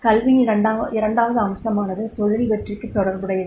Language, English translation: Tamil, Second aspect of the education is for the occupational success